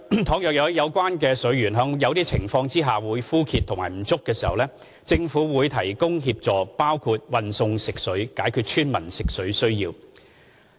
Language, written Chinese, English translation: Cantonese, 倘若有關水源在某些情況下枯竭或不足，政府會提供協助，包括運送食水，解決村民用水需要。, In the event of water depletion at source the Government will provide assistance including transporting potable water to meet the needs of villagers